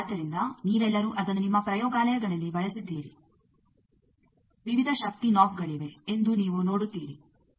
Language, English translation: Kannada, So, you have all used it in your labs, you will see that there are various power knobs